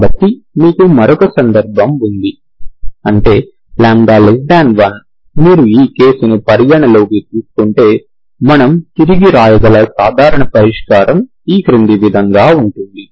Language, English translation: Telugu, So you have another case, that is lambda less than 1, if you consider this case, the general solution we can rewrite